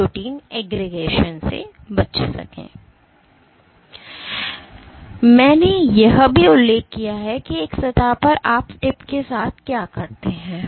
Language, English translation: Hindi, So, I also mentioned that on a surface what you do with the tip